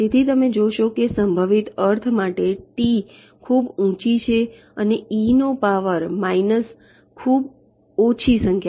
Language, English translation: Gujarati, so you see, as the t is high, for this probability means two to the power minus a very small number